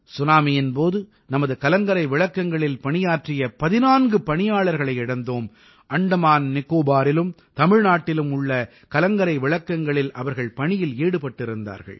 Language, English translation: Tamil, During the tsunami we lost 14 of our employees working at our light house; they were on duty at the light houses in Andaman Nicobar and Tamilnadu